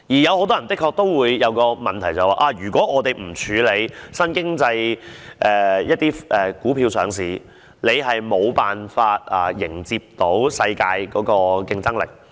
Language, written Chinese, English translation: Cantonese, 很多人便會問，如果我們不讓新經濟成分的股票上市，是否便無法迎接世界的競爭力？, Many people will ask are we unable to maintain the competitiveness to meet the challenge of the world if we do not allow the listing of new economy stocks?